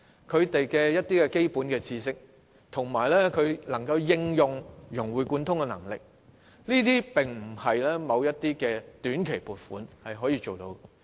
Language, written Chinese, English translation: Cantonese, 想學生擁有基本知識及融會貫通的能力並非短期撥款可以做到。, Short - term funding will not make students have basic knowledge and capable of integrating and connecting knowledge across different areas